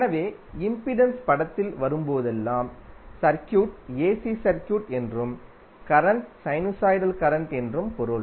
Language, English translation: Tamil, So whenever the impedance terms into the picture it means that the circuit is AC circuit and the current is sinusoidal current